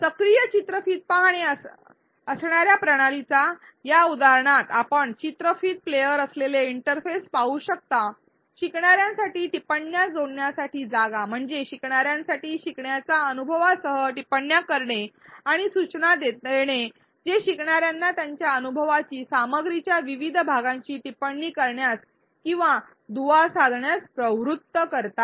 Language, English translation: Marathi, In this example of a system which has active video watching, you can see the interface which contains the video player, the space for learners to add comments, means for learners to tag the comments with learner’s experience and nudges that prompt learners to comment or link their experience to various parts of the content